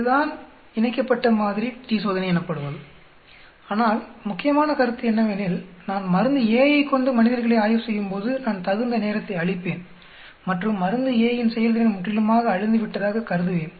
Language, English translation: Tamil, That is what is a paired sample t Test is, but the important point is when I treat the subjects with drug A, I give sufficient time and I assume that the effect of drug a is completely washed out